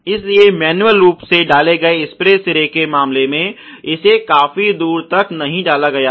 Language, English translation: Hindi, So, the case of manually inserted spray head not inserted far enough